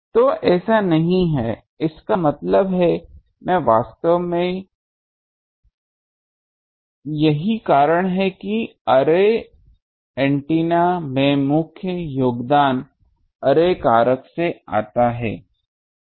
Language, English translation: Hindi, So, not that; that means, I actually that is why; in array antenna the main contribution comes from the array factor